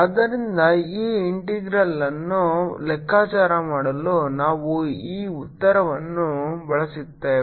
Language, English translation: Kannada, so we will use this answer to calculate this integral